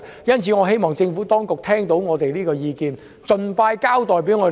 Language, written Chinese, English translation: Cantonese, 因此，我希望政府當局聆聽我們的意見，盡快向我們作出交代。, Hence I hope that the Government will listen to our views and give us an answer as soon as possible